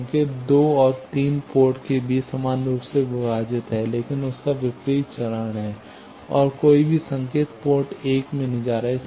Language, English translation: Hindi, The signal is evenly split between two, 2 and 3 port, but there is their opposite phase and no signal is going to port 1